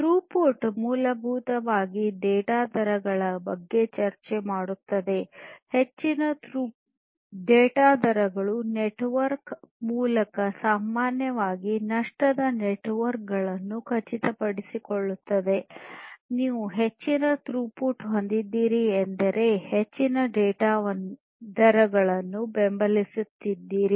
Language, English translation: Kannada, So, throughput essentially we are talking about the data rates, high data rates ensuring that through the network which is typically a lossy network; you have higher throughput, higher data rates that can be supported